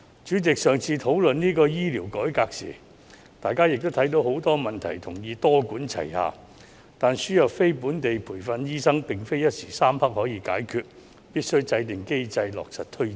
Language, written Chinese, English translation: Cantonese, 主席，在上次討論醫療改革時，大家也看到很多問題，同意必須多管齊下，但輸入非本地培訓醫生並不是一時三刻可以解決的事，必須制訂機制，落實推展。, President in the previous discussion on healthcare reform we have noticed many problems and agreed that a multi - pronged approach must be adopted . Nevertheless the importation of non - locally trained doctors cannot be achieved overnight . A mechanism must be formulated and implemented